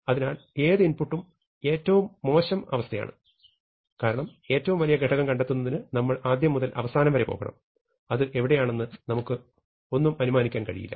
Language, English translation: Malayalam, So, the worst case, any input is a worst case, because we must go from beginning to end in order to find the maximum value, we cannot assume anything about where the maximum value lies